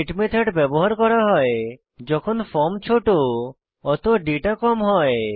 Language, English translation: Bengali, GET Method is used when: the form is small and hence the data is less